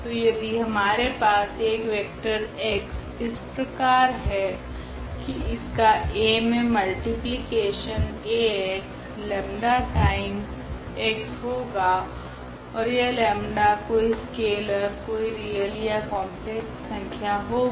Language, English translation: Hindi, So, if we have such a vector x whose multiplication with this given matrix a Ax is nothing, but the lambda time x and this lambda is some scalar some real number or a complex number